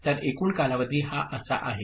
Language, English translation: Marathi, So, total time period is like this